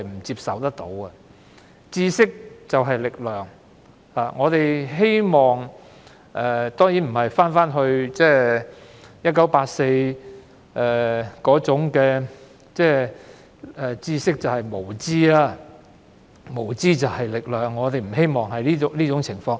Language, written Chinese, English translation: Cantonese, 知識就是力量，我們當然希望不會回到《1984》小說中知識便是無知、無知便是力量的那種情況。, Knowledge is power . We certainly do not want to go back to the situation depicted in the novel 1984 where knowledge is ignorance and ignorance is strength